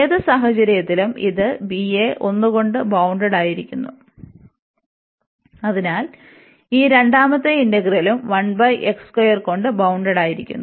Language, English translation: Malayalam, So, in any case this will b will also bounded by 1, so this second integrand is also bounded by 1 over x square